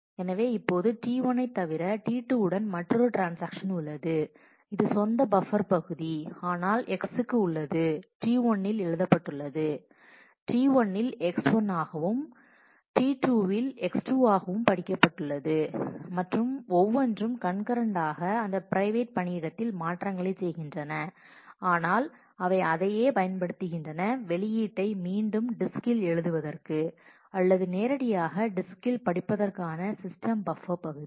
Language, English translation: Tamil, So, now, in addition to T 1, we have another transaction T 2 with it is own buffer area, but so, the x has been written in T 1, has been read in T 1 as x 1, x has also been read in T 2 as x 2 and each are concurrently making changes in that private work area, but they are using the same system buffer area for the for writing the output back to the disk or reading directly from the disk